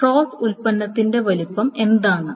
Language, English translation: Malayalam, So cross product, what is the size of cross product